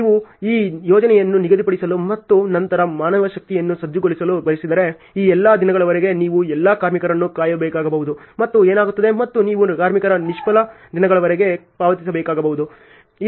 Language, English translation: Kannada, Suppose, if you want to schedule this project and then mobilize for the manpower, then you may have to call all the workers for all these days and what happens and you may have to pay for idle days of the workers